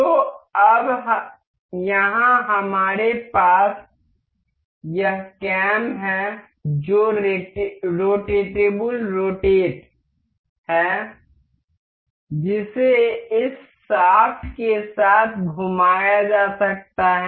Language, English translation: Hindi, So so, now here we have this cam that is rotatable rotate that can be rotated along this shaft